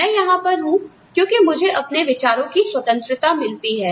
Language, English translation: Hindi, I am here, because of the freedom of thought, I get